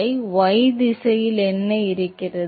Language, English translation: Tamil, No, what is in y direction